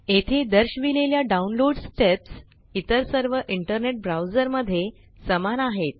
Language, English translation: Marathi, The download steps shown here are similar in all other internet browsers